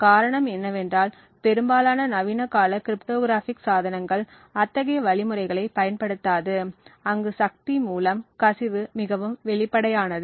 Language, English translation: Tamil, The reason being is that most modern day cryptographic devices would not be using such algorithms where the leakage through the power is quite obvious